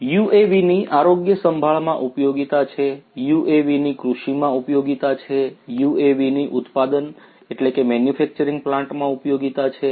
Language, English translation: Gujarati, UAVs have application in health care, UAVs have applications in agriculture, UAVs have applications in manufacturing plants